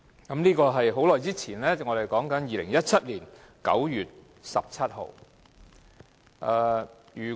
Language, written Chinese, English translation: Cantonese, 可是，所謂"很久以前"，也不過是指2017年9月17日而已。, Yet what they called a very long time ago actually refers to 17 September 2017